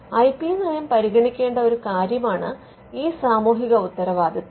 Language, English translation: Malayalam, Now, one of the things that IP policy should consider this social responsibility